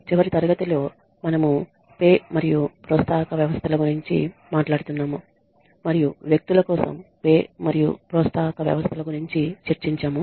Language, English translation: Telugu, In the last class we were talking about Pay and Incentive Systems and we discussed the pay and incentive systems for individuals